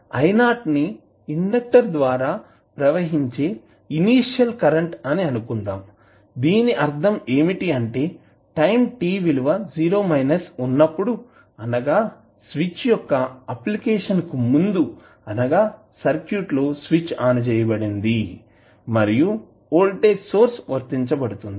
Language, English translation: Telugu, Let us assume I naught naught is the initial current which will be flowing through the conductor that means at time t is equal to 0 minus means the time just before the application of the switch means the circuit is switched on and voltage source is applied